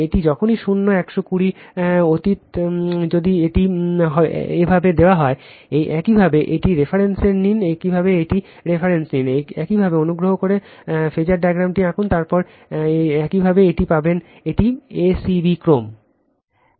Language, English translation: Bengali, This is whenever apart from zero 120 if it is given like this, you take a reference you take a reference, after that you please draw the phasor diagram, then you will get it this is a c b sequence